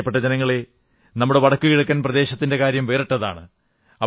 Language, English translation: Malayalam, My dear countrymen, our NorthEast has a unique distinction of its own